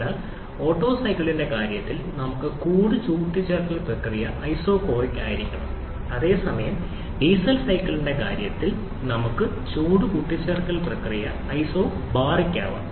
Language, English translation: Malayalam, So, in case of Otto cycle we have the heat addition process to be isochoric whereas in case of Diesel cycle we have the heat addition process to be isobaric